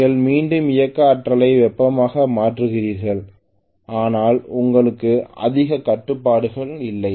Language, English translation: Tamil, You are essentially having again kinetic energy converted into heat but you are not having much control